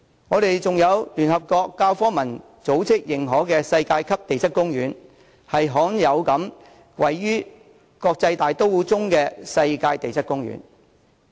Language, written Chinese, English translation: Cantonese, 我們還有聯合國教科文組織認可的世界級地質公園，是罕有位於國際大都會之中的世界級地質公園。, Besides the Hong Kong Global Geopark is a recognized global geopark under the United Nations Educational Scientific and Cultural Organization and a rare example of global geopark in a cosmopolitan city